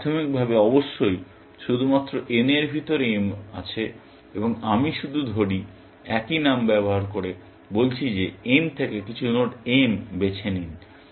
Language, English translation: Bengali, But initially, of course, there is only m inside n, and I am just simply, saying, using the same name, saying, and pick some node m from n